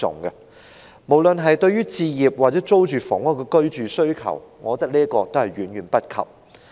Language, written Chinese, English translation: Cantonese, 從滿足市民對置業或租住房屋的居住需求來說，我覺得這都是遠未能及的。, From the perspective of meeting the publics demand for home ownership or rental housing I think there is still a long way to go